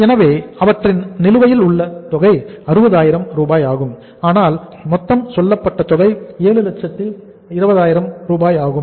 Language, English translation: Tamil, So it means their outstanding 60,000 is so total we have seen is that is the total amount was how much total amount was say 720,000